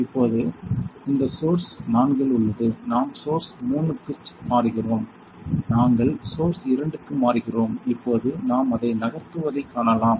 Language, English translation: Tamil, Now, it is in source 4, we are changing to source 3; we are changing to source 2; now we can see it moving